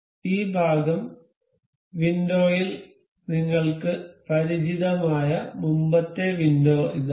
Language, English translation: Malayalam, This the earlier window you are familiar with this part window